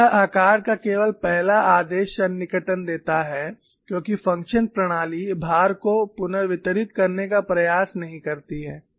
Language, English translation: Hindi, So, it gives only a first order approximation of the shape, because the methodology does not attempt to redistribute the load